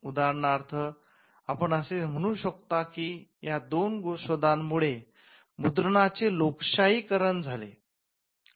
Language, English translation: Marathi, For instance, you can say that printing got democratized with these two inventions